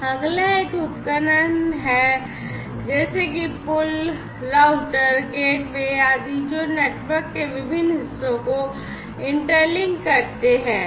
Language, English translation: Hindi, The next one is the devices such as the bridges, routers, gateways etcetera, which interlink different parts of the network, right